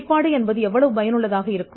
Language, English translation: Tamil, So, the how effective the disclosure is